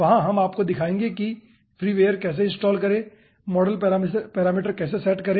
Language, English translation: Hindi, there we will be showing you how to install the freeware, how to set up the model parameters